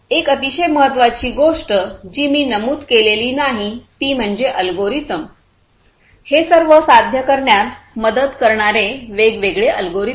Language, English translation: Marathi, One very important thing I have not mentioned yet; it is basically the algorithms, the different algorithms that can help in achieving all of these